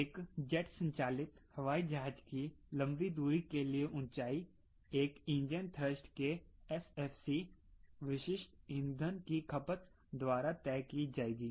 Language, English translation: Hindi, the altitude for a jet driven airplane long distance will be decided by the s s c of an engine, thrust, s s v, fuel consumption